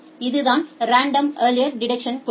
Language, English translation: Tamil, So, that is the principle of random early detection